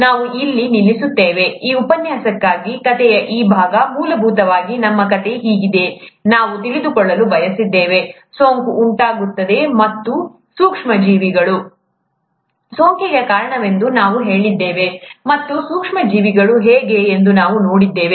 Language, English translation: Kannada, We will stop here for, for this lecture, this part of the story, essentially our story went something like this, we wanted to know, what causes infection, and we said micro organisms cause infection, and we saw how micro organisms are organized for better understanding